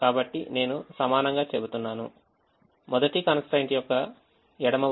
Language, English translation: Telugu, so i say equal to the left hand side of the first constraint is three x one plus three x two